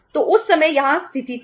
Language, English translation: Hindi, So that was the situation at that time